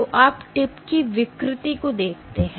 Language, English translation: Hindi, So, you have deformation of the tip